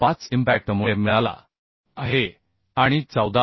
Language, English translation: Marathi, 5 is the due to impact and 14